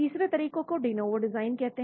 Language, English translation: Hindi, Third approach is called the de novo design